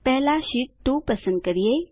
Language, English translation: Gujarati, First, let us select sheet 2